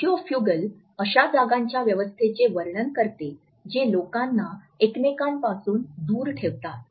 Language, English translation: Marathi, Sociofugal describes those space arrangements that push people apart away from each other